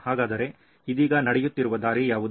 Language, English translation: Kannada, So what is the way that is happening right now